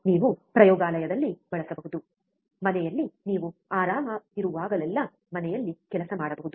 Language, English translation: Kannada, You can use at laboratory, home you can work at home wherever you are comfortable